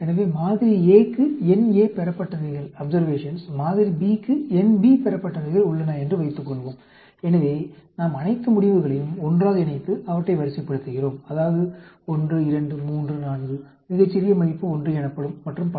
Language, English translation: Tamil, So, suppose, we have nA observations for a sample A, nB observations for sample B; so, we combine all the results together and rank them; that means, 1, 2, 3, 4, smallest value called 1, and so on